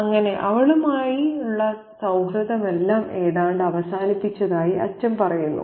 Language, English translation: Malayalam, So, the father says that he has almost ended all friendship with her